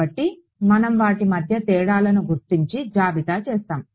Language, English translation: Telugu, So, we will just list out the differences between them